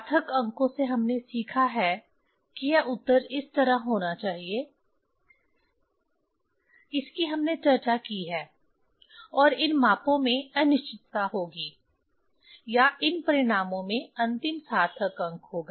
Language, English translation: Hindi, From significant figures, we have learned that this answer should be like this that we have discussed, and uncertainty will be uncertainty in these measurement or in these result will be in the last significant figure